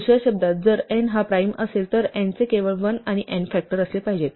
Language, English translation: Marathi, In other words, the only factors of n should be 1 and n, if n is a prime